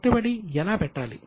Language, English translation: Telugu, How do you invest